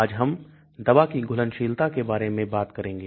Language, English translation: Hindi, Today, we will talk about drug solubility